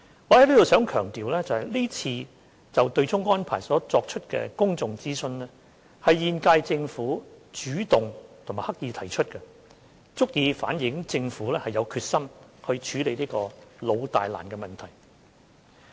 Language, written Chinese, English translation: Cantonese, 我想強調，這次就對沖安排所作出的公眾諮詢，是現屆政府主動及刻意提出，足以反映政府是有決心處理這個老大難的問題。, I would like to emphasize that the said public consultation on the offsetting arrangement was initiated and proposed by the current - term Government evident of the Governments determination to tackle this old big and difficult issue